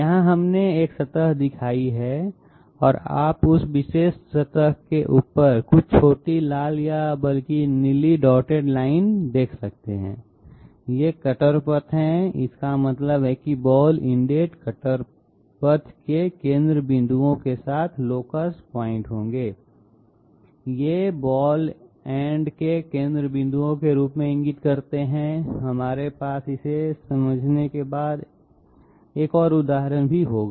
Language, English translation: Hindi, Here we have shown a surface and you can see some small red or rather blue dotted lines just over that particular surface, these are cutter paths that mean the centre point of a ball ended cutter path with these locus point as the centre points of the ball end okay, we will have an example later also in order to understand this